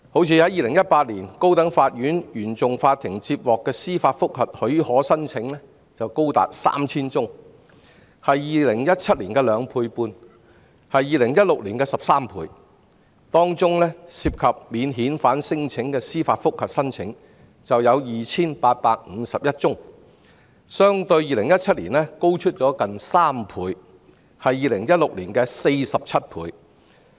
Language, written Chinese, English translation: Cantonese, 以2018年為例，高等法院原訟法庭接獲的司法覆核許可申請便高達 3,000 宗，是2017年的兩倍半 ，2016 年的13倍，當中涉及免遣返聲請的司法覆核申請便有 2,851 宗，相對2017年高出近2倍，是2016年的47倍。, Take 2018 for example the Court of First Instance CFI of the High Court received as many as 3 000 applications for leave for judicial review which was 2.5 times and 13 times of the respective numbers in 2017 and 2016 . Among those 3 000 applications 2 851 were about non - refoulement claims nearly tripling the same figure in 2017 and higher than that in 2016 by 46 times